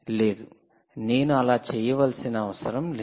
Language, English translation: Telugu, no, you dont have to do that